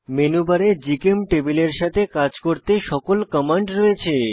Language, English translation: Bengali, Menubar contains all the commands you need to work with GChemTable